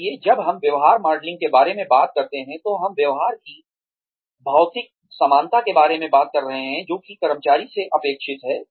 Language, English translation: Hindi, So, when we talk about behavior modelling, we are talking about physical similarity of the behavior, that is expected of the employee